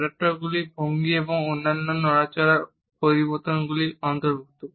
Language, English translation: Bengali, Adaptors include changes in posture and other movements which are made with little awareness